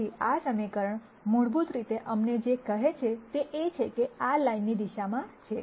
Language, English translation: Gujarati, So, what this equation basically tells us is that this is in the direction of the line